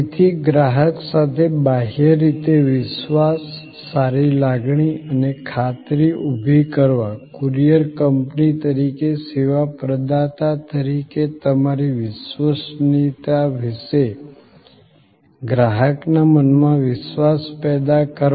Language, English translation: Gujarati, So, to create trust externally with the consumer, to create good feeling externally with the customer, to create assurance, to create the trust in customer's mind about your reliability as a service provider as a courier company